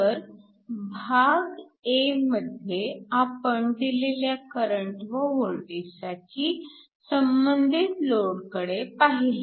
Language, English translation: Marathi, So, in problem a, we essentially looked at the load for a given value of current and voltage